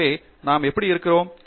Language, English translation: Tamil, So, how do we sort of place ourselves